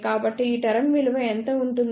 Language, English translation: Telugu, So, what this term will be